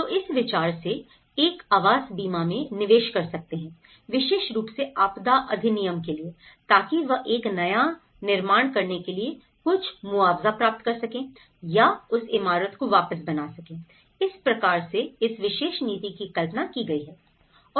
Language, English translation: Hindi, So, in that way the insurance; idea of insurance so, one can invest from the housing insurance especially, for the disaster act and so that they can receive some compensation to build a new one or to retrofit that building, so that is how this particular policy have thought about